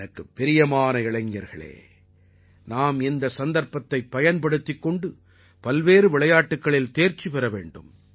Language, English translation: Tamil, My dear young friends, taking advantage of this opportunity, we must garner expertise in a variety of sports